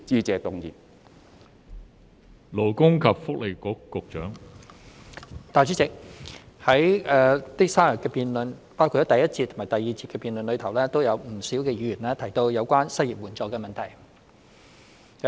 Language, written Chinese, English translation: Cantonese, 代理主席，在這3天的辯論中，包括第一節及第二節的辯論中，不少議員提到有關失業援助的問題。, Deputy President many Members mentioned the issue of unemployment assistance during the debate including the first and second debate sessions in these three days